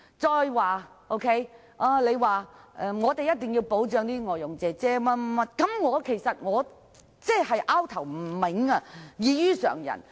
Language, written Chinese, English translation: Cantonese, 再者，他說我們一定要保障外傭，但我不明白為何他的想法異於常人？, They said that we must protect foreign domestic helpers but I do not understand why his way of thinking is so different from that of an ordinary person